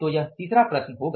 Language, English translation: Hindi, So that will be the third problem